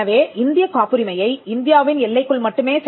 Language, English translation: Tamil, So, an Indian patent can only be enforced within the boundaries of India